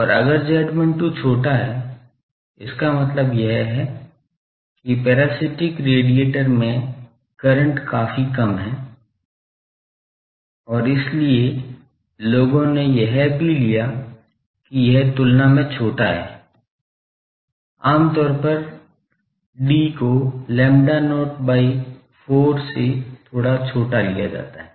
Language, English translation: Hindi, And if z 12 is small; that means, the current in, the parasitic radiator is quite small, and so people, also people took that the this smaller than, generally the d is taken a bit smaller then the not by 4